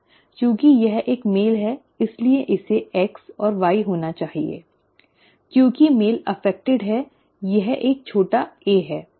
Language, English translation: Hindi, Since it is a male, it has to be X and X and Y, since the male is affected it is a it is a small A